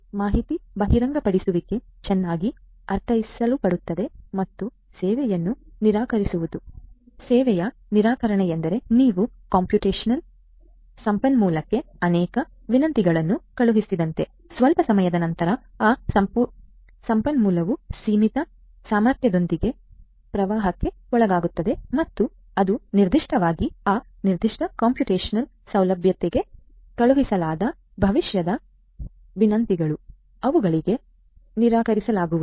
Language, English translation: Kannada, Information this disclosure is well understood and denial of service; denial of service means like you know you send so many requests to a computational resource that after some time that resource is over flooded with the limited capacity that it has and that is how basically the future requests that are sent to that particular computational facility, those are going to be denied